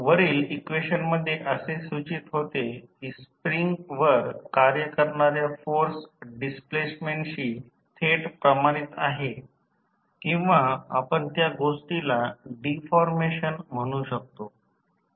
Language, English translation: Marathi, So, in this above equation it implies that the force acting on the spring is directly proportional to displacement or we can say the deformation of the thing